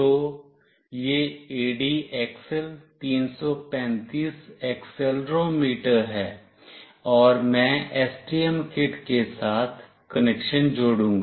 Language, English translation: Hindi, So, this is the ADXL 335 accelerometer, and I will be doing the connection with STM kit